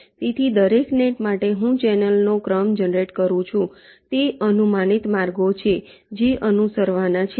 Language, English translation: Gujarati, so for our, for each of the nets i generate ah sequence of the channels, are the approximate paths that are to be followed